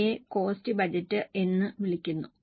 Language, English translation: Malayalam, Those are called as cost budgets